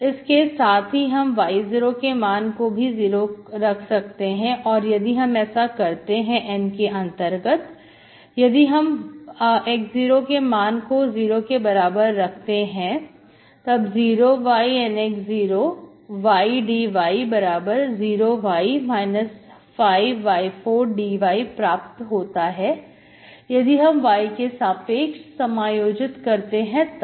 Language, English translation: Hindi, You can also take y0 equal to 0, if you take at 0 equal to 0 in N, you are fixing x0 which is equal to 0, this becomes only minus 5y power 4, that you are integrating with respect to y, okay